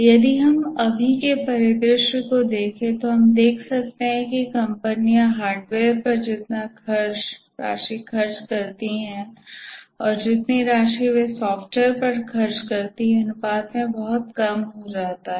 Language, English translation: Hindi, If we look at the scenario now, we can see that the scenario now, we can see that the amount that the company is spent on hardware versus the amount of the spend on software, the ratio is drastically reducing